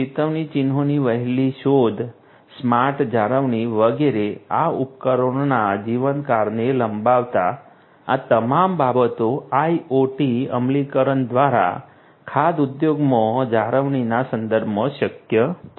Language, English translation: Gujarati, Early detection of warning signs, smart maintenance etcetera, etcetera of these machines extending the lifetime of these equipments all of these things are possible with respect to maintenance in the food industry through IoT implementations